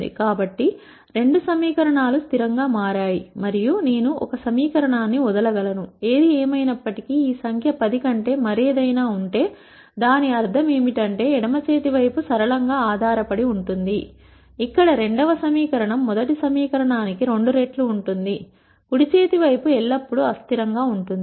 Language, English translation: Telugu, So, both the equations became consistent and I could drop one equation ; however, if this number was anything other than 10 then what it basically means is, that while the left hand side will be linearly dependent where the second equation will be twice the first equation the right hand side will always be inconsistent